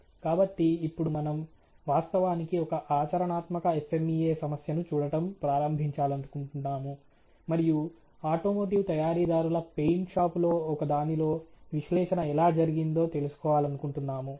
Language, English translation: Telugu, So, we want do actually now start looking at a practical FMEA problem and how the analysis has been carried out in one of the automotive manufactures in their paint shop ok